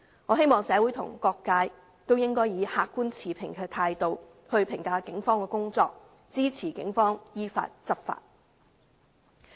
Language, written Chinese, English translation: Cantonese, 我希望社會各界應以客觀持平的態度來評價警方的工作，支持警方依法執法。, I hope various sectors in society will assess the work of the Police with an objective and impartial attitude and support their enforcement in accordance with the law